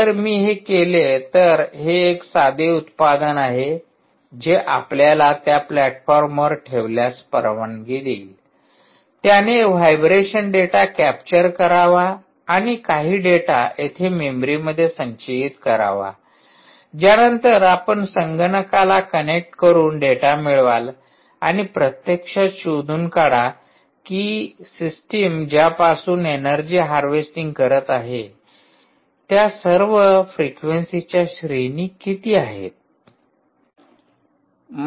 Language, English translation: Marathi, so if i do this, ah, so this is a simple product ah, which will allow you, if placed on that platform, it should capture the vibration data and store it on some ah memory here, after which you connected to a computer and extract the data and actually find out what, where, all the range of frequencies over which the system is harvesting ah energy from